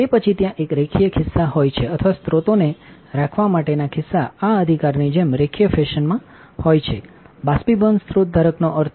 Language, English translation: Gujarati, Then there is a linear pocket where the sources the pocket for holding the source is in linear fashion like this right that is what the evaporation sources holder means